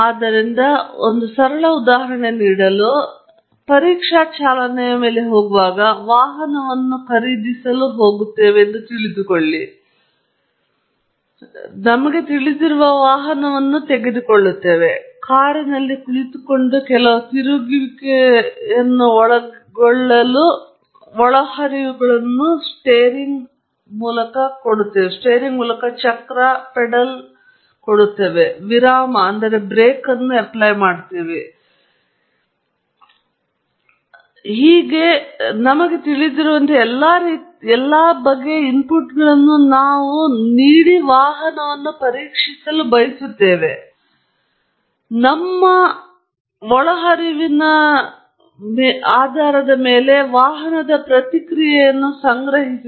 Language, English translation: Kannada, So, to give you a simple example, when we go out on a test drive, let say to purchase a vehicle, the common sense thing that all of us do is take the vehicle, sit in the car and apply certain inputs to rotate the steering wheel and pedal, apply breaks, supply fuel, and so on, and you know, give all different kinds of inputs that we want to really test the vehicle on; and then, collect the response of the vehicle